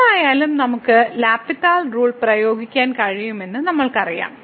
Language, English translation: Malayalam, And in either case we know that we can apply the L’Hospital rule